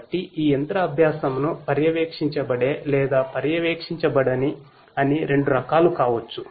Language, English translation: Telugu, So, this machine learning could be of two types supervised or unsupervised